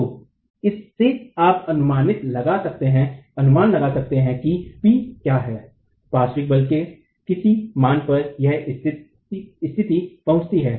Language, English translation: Hindi, So from this you can then estimate at what p is at what value of the lateral force is this condition reached